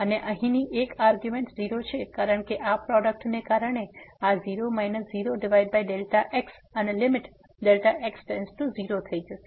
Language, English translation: Gujarati, And since one of the argument here is 0, because of this product this will become 0 minus 0 over delta x and the limit delta to 0